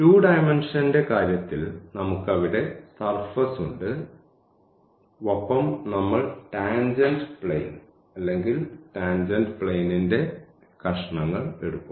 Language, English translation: Malayalam, In case of the 2 dimensional so, we have the surface there and we will take the tangent plane or the pieces of the tangent plane